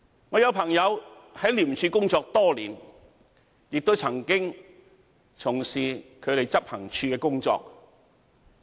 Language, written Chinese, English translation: Cantonese, 我有朋友在廉署工作多年，亦曾經從事執行處的工作。, A friend of mine has been working for ICAC for many years he has also worked in the Operations Department OD